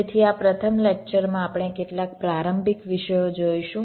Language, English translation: Gujarati, so this first lecture you shall be looking at some of the introductory topics